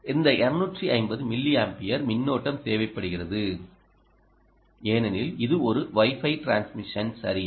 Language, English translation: Tamil, you can see that this two fifty milliampere current which is required because this is a wi fi transmission